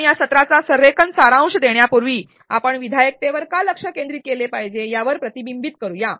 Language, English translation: Marathi, Before we summarize this session let us reflect as to why should we focus on constructive alignment